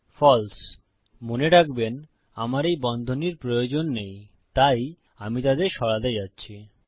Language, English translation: Bengali, Remember I dont need these brackets so Im going to take them out